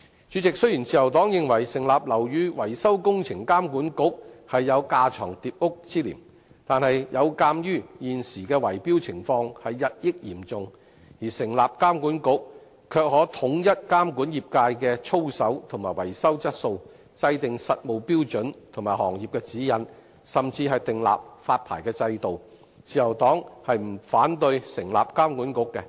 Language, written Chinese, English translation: Cantonese, 主席，雖然自由黨認為成立"樓宇維修工程監管局"有架床疊屋之嫌，但鑒於現時圍標情況日益嚴重，成立監管局可以統一監管業界的操守和維修質素，制訂實務標準及行業指引，甚至訂立發牌制度，自由黨不反對成立監管局。, President though the Liberal Party considers the establishment of a building maintenance works authority duplication of structure given the increasingly rampant problem of bid - rigging the establishment of an authority can standardize the codes of practice and maintenance quality in the industry formulate practical standards and industry guidelines and even set up a licensing regime . The Liberal Party does not oppose the establishment of such an authority